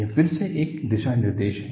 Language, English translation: Hindi, This is again a guideline